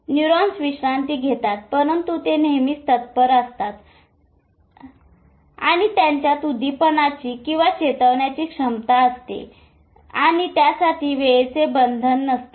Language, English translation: Marathi, Neurons are at rest but they are always in the readiness and the potential to fire at no point of time